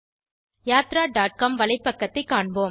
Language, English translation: Tamil, Let us see the web page of Yatra.com